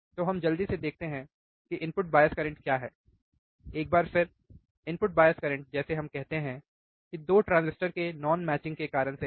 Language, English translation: Hindi, So, let us quickly see what is what is the input bias current, once again input bias current like we say is due to non matching of 2 transistors